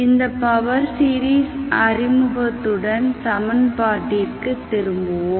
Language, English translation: Tamil, With this introduction to the power series let us start, let us go back to the equation